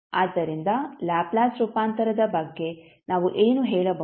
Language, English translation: Kannada, So what we can say about the Laplace transform